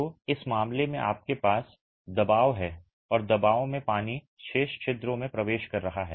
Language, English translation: Hindi, So, in this case you have pressure and water is entering the remaining pores under pressure